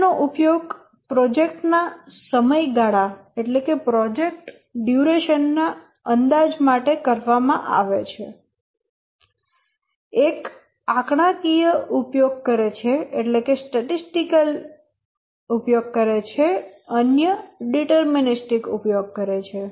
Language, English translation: Gujarati, Both are used to estimate the project's duration, one uses statistical, other is deterministic and using both